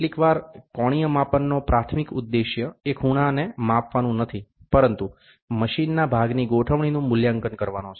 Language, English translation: Gujarati, Sometimes, the primary objective of an angle measurement is not to measure angle, but to assess the alignment of a machine part